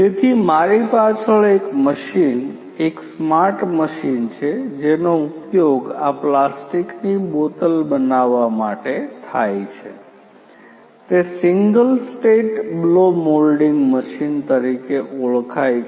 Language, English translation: Gujarati, So, behind me is a machine a smart machine which is used for making these plastic bottles, it is known as the single state blow moulding machine